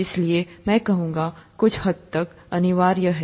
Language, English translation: Hindi, Therefore, that would, I would say somewhat mandatory